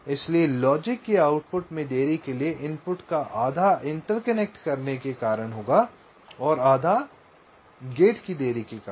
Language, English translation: Hindi, so half of the input to output delay of the logic will be due to the interconnections and half due to the gate delay